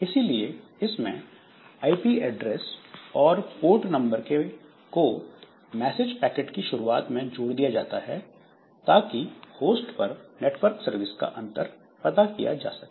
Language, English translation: Hindi, So, this a number is included at start of message packet to differentiate network services on a host